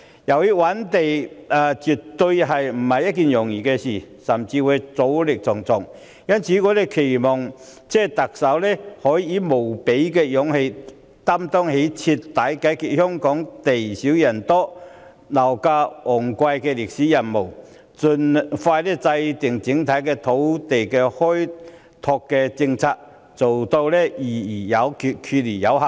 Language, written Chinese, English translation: Cantonese, 由於覓地絕非易事，甚至阻力重重，因此我們期望特首能夠以無比的勇氣，擔當起徹底解決香港地少人多、樓價昂貴問題的歷史任務，盡快制訂整體的土地開拓政策，做到議而有決，決而有行。, Identifying land is definitely no easy task and there may even be a myriad of obstacles . Therefore we hope that the Chief Executive can with tremendous courage shoulder the historical mission of eradicating the problem of exorbitant property prices resulted from the scarcity of land and dense population in Hong Kong . An overall land development policy should be formulated as expeditiously as possible so that we can decide and proceed after discussions